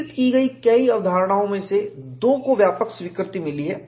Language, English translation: Hindi, Of the many concepts developed, two have found general acceptance